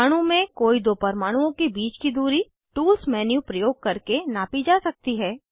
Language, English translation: Hindi, Distance between any two atoms in a molecule, can be measured using Tools menu